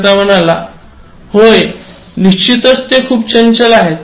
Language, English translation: Marathi, The vendor said, yes, of course, they are very active